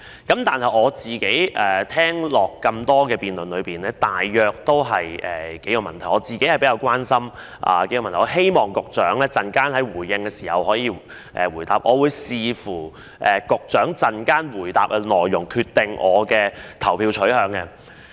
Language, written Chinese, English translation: Cantonese, 剛才聽了多位議員在辯論中的發言，他們提及的數個問題是我個人比較關心的，也希望局長稍後回應時能夠回答，而我會視乎局長稍後回答的內容來決定我的投票取向。, I have listened to the speeches made by a number of Members in the debate . They have raised several questions which I am personally more concerned about and I hope the Secretary will answer them in his reply later on . My decision on my voting preference will depend on the reply to be given by the Secretary later